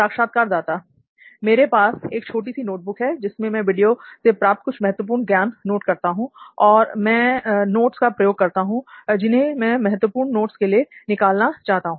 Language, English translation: Hindi, I have a small notebook with me which again I write a few important insights from the video and I keep stick notes where I can pick for that important notes